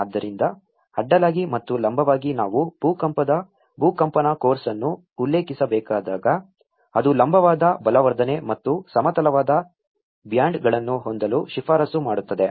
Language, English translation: Kannada, So horizontally and vertically when we need to refer with the earthquake seismic course which recommends that have a vertical reinforcement and as well as the horizontal bands